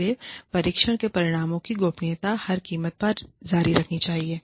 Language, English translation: Hindi, So, confidentiality of test results, confidentiality of the issue, must be maintained, at all costs